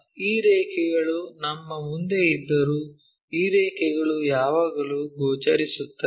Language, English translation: Kannada, Whereas these lines are in front of us so, these lines are always be visible